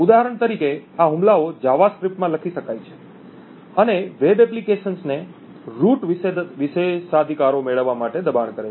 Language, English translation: Gujarati, mount several different attacks these attacks for example can be written in JavaScript and force web applications to obtain root privileges